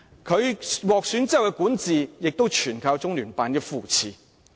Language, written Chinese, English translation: Cantonese, 他獲選之後的管治，亦全靠中聯辦的扶持。, After being elected he still relies on LOCPGs support in governing this city